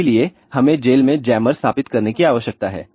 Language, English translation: Hindi, So, we need to install jammers in the prison